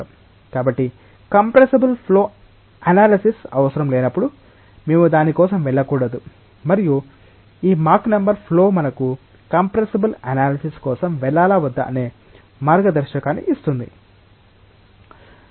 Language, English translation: Telugu, So, whenever compressible flow analysis is not required, we should not go for it and this Mach number of flows will give us a guideline of whether we should go for compressible analysis or not